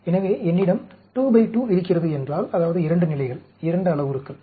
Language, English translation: Tamil, So, if I have a 2 by 2, that means, 2 levels, 2 parameters